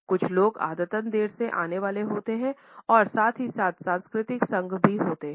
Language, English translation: Hindi, Some people are tardy and habitually late comers and at the same time there are cultural associations also